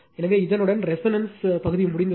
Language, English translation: Tamil, So, with this with this your resonance part is over